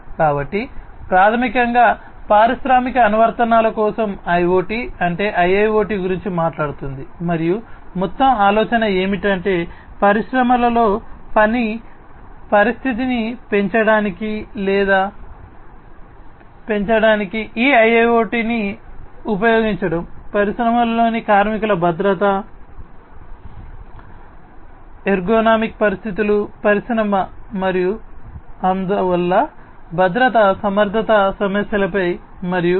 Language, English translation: Telugu, And so, basically IoT for industrial applications is what IIoT talks about and the overall idea is to use this IIoT for increasing or enhancing the working condition in the industries such as the safety, safety of the workers in the industry, the ergonomic conditions in the industry and so, on safety ergonomic issues and